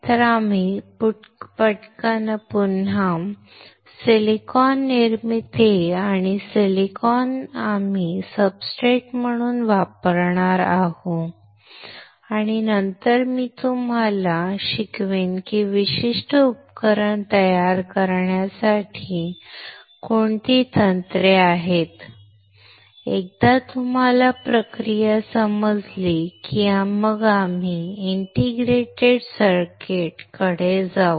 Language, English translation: Marathi, So, we will again quickly see the silicon formation and silicon we will use as a substrate and then I will teach you what techniques are there to fabricate a particular device, once you understand the process then we will move to the integrated circuits